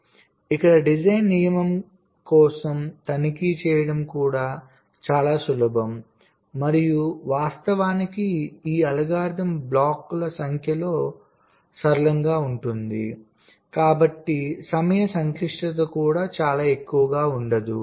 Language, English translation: Telugu, so here the checking for the design rule is also simple, ok, and of course this algorithm will be linear in the number of blocks, so the time complexity will not also be very high